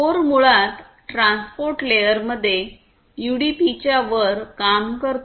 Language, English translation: Marathi, So, core basically works on top of UDP in the transport layer